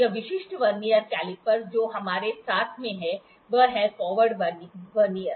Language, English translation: Hindi, This specific Vernier caliper that we have in hand is the forward Vernier